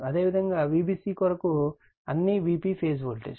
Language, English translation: Telugu, Similarly, for V bc all are V p phase voltage